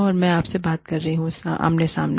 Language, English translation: Hindi, And, I am talking to you, face to face